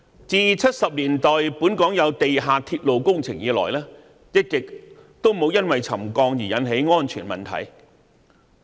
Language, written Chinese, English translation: Cantonese, 自1970年代本港有地下鐵路工程以來，一直也沒有因為沉降而引起安全問題。, Ever since Mass Transit Railway projects were carried out in Hong Kong in the 1970s no safety problems resulting from settlement have ever arisen